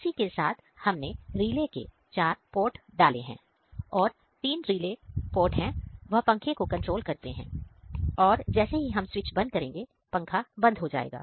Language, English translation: Hindi, Similarly we have simulated all the four ports of the relay which is relay three that will control the fan and when we switch it off, it will turned off